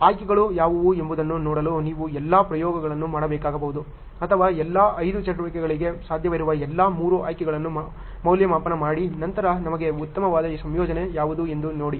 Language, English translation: Kannada, You may have to do so many trials to see what is options or evaluate all the possible three options for all the 5 activities and then see what is the best combination for you ok